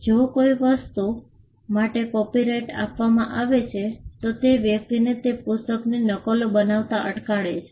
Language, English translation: Gujarati, If a copyright is granted for a book, it stops a person from making copies of that book